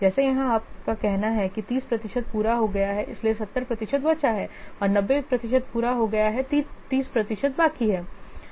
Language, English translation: Hindi, Just like as here you are saying 30 percent is complete, so 70 percent is left and 90 percent is complete, 30 percent is left